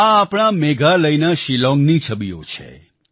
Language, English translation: Gujarati, These are pictures of Shillong of our Meghalaya